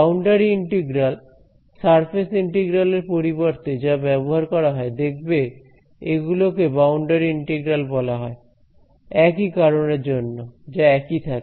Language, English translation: Bengali, So, boundary integral actually also in the literature instead of surface integral you will find that the these are called boundary integrals for the same reason remain the same thing